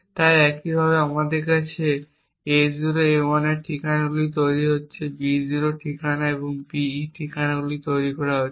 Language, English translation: Bengali, So similarly we have A0, A1 addresses being crafted B0 addresses and the BE addresses being crafted